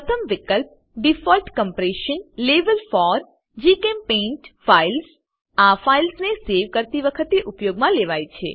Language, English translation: Gujarati, The first field, Default Compression Level For GChemPaint Files, is used when saving files